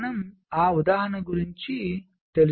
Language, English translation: Telugu, so lets go to that example